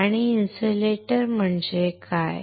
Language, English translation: Marathi, And what is insulator